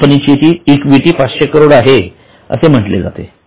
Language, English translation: Marathi, So, it is said that the equity of company is 500 crore